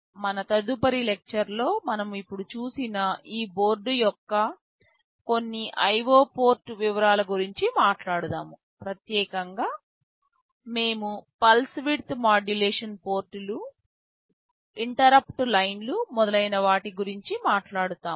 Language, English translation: Telugu, In our next lecture, we shall be talking about some of the IO port details of this board that we have just now seen, specifically we shall be talking about the pulse width modulation ports, the interrupt lines and so on